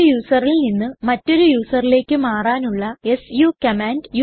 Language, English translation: Malayalam, su command to switch from one user to another user